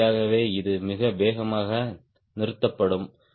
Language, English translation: Tamil, so naturally it will stall also very fast